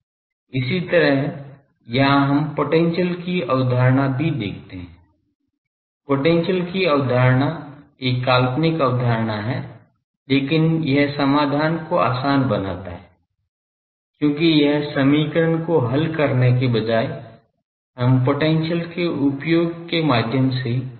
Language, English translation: Hindi, Similarly, here also we bring the concept of potential; concept of potential is a fictitious concept, but that eases the solution because instead of solving this equation we will get solving through the use of potential